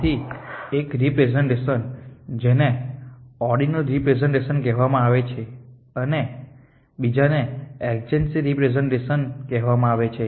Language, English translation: Gujarati, So, there is one representation which is called ordinal representation and another 1 which is called adjacency representation